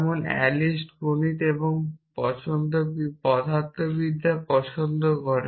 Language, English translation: Bengali, So, I say I like math’s and physics a Alice likes music